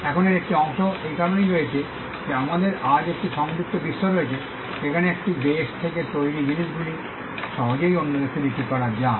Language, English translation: Bengali, Now, part of this is due to the fact that today we have a connected world where things manufactured from one country can easily be sold in another country